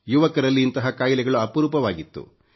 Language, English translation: Kannada, Such diseases were very rare in young people